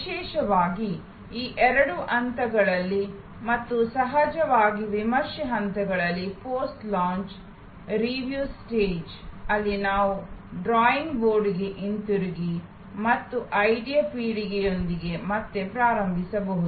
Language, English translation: Kannada, Particularly, in these two stages and of course, at the review stage, post launch review stage, where we can go back to the drawing board and start again with idea generation